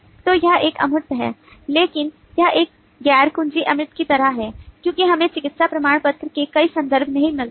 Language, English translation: Hindi, but that is kind of a non key abstraction because we do not find many references of medical certificate